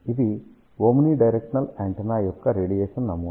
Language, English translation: Telugu, This is the radiation pattern of omni directional antenna